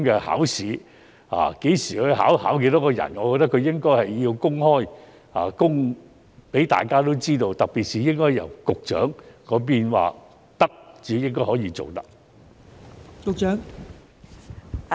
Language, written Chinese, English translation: Cantonese, 考試何時舉行、設多少個席位，均應該公開，讓大家知道，特別是應該經局長同意才可以這樣處理。, The schedule and capacity arrangement for these examinations should be disclosed to the public . In particular such arrangement should be made with the consent of the Secretary